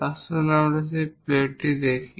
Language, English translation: Bengali, Let us look at that plate